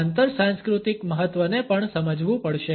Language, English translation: Gujarati, The cross cultural significance also has to be understood